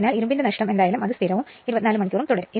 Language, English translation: Malayalam, So, whatever iron loss will be there it will remain constant and 24 hours